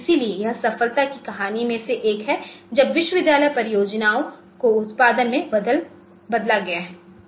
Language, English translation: Hindi, So, this is one of the success stories of the university projects going into the product